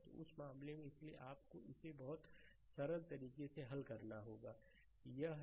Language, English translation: Hindi, So, in that case; so, you have to solve this one very simple, it is